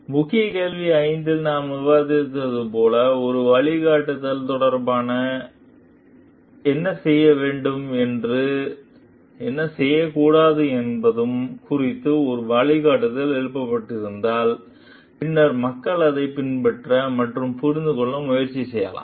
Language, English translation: Tamil, So, in key question 5 that we discussed like if there is a guideline regarding what to do what not to do something is written, then people can follow it, and try to understand